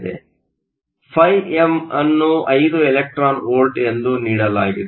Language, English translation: Kannada, So, φm is given to be 5 electron volts, So, this is the work function of gold